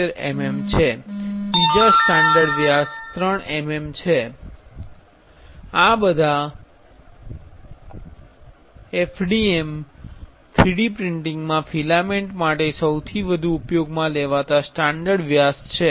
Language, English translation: Gujarati, 75 mm and another standard is 3 mm, there, those are the most used standard diameter for filament in 3D printing in FDM 3D printing